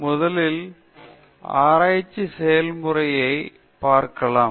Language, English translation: Tamil, So, first, let us see the research process